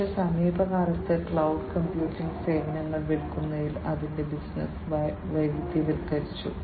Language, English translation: Malayalam, But, in recent times it has diversified its business to selling cloud computing services